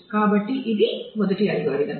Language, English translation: Telugu, So, this is the first algorithm